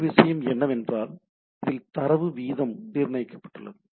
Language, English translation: Tamil, Another things is the data rate is fixed